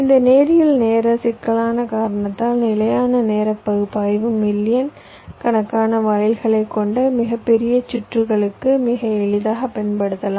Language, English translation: Tamil, because of this linear time complexity, the static timing analysis can be very easily used for very large circuits comprising of millions of gates as well